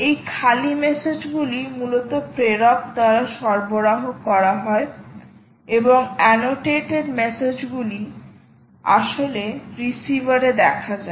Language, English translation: Bengali, ah, these bare messages are basically those are supplied by the sender, those which are supplied by the sender, and annotated messages, those which are actually seen at the receiver